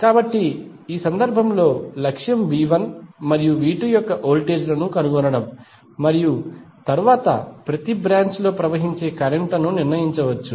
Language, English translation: Telugu, So, in this case the objective is to find the voltages of V 1 and V 2, when we get these values V 1 and V 2